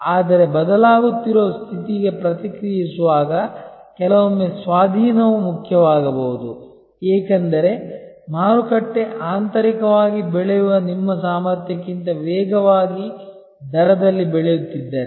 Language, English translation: Kannada, But, in responding to the changing condition sometimes acquisition may be important, because if the market is growing at a rate faster than your ability to grow internally